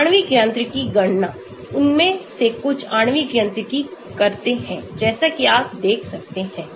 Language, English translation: Hindi, Molecular mechanics calculation, some of them do molecular mechanics as you can see